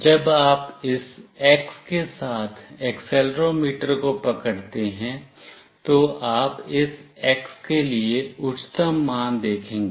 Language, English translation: Hindi, When you hold the accelerometer along this X, then you will see the highest value for this X